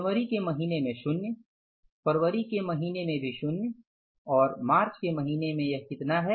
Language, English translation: Hindi, Nill in the month of January, nil in the month of February and in the month of March is going to be how much